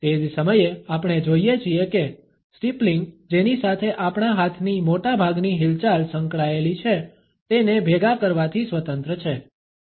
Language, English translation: Gujarati, At the same time we find that steepling is independent of clustering with which most of our hand movements are associated